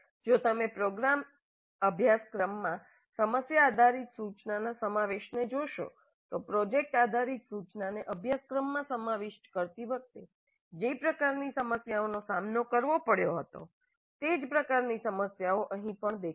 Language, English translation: Gujarati, So that is the reason this has become more popular and if you look at the incorporation of problem based instruction into the program curriculum, the same kind of problems that we encountered while incorporating the project based instruction into the curriculum will appear here also